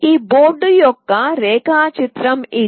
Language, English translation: Telugu, This is the diagram of this board